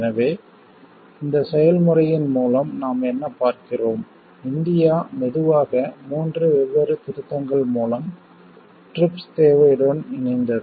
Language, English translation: Tamil, So, what we see through this process, India got slowly aligned with the TRIPS requirement through three different amendments